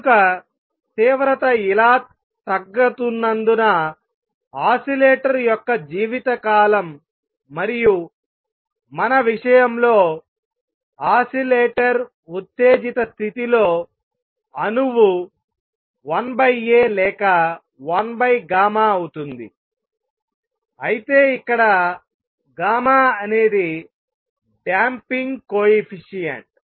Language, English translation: Telugu, So, and since the intensity is going down like this, so lifetime of the oscillator and in the in our case the oscillator is the atom in the excited state is 1 over A or 1 over gamma the gamma is damping coefficient